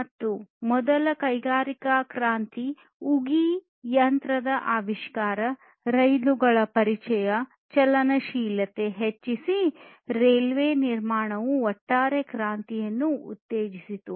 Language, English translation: Kannada, And this first industrial revolution was started with the invention of steam engine, trains introduction of trains, mobility increased, construction of railways basically stimulated the overall revolution